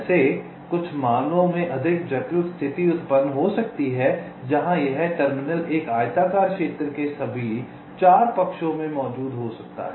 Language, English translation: Hindi, well, a more complex situation can arise in some cases, where this terminals can exist in all four sides of a rectangular region